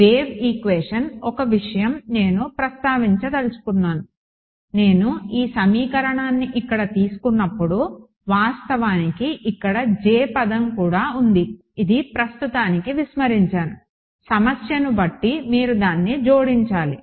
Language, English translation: Telugu, Wave equation one thing I wanted to mention that when I took this equation over here there was there is also actually a J term over here, which I have ignored for now depending on the problem you will need to add it in ok